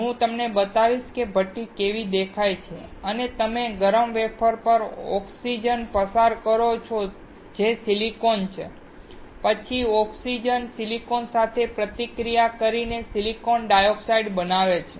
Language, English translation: Gujarati, I will show you how the furnace looks like and you pass oxygen onto the heated wafer which is silicon, then the oxygen will react with silicon to form silicon dioxide